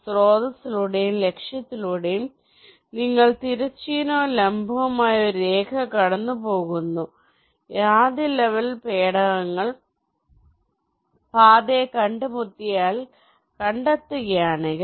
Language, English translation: Malayalam, you pass a horizontal and vertical line through source and target if first level probes, if they meet path is found